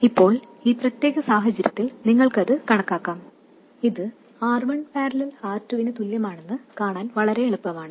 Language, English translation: Malayalam, Now in this particular case you can calculate it and it is very easy to see that it is simply equal to R1 parallel R2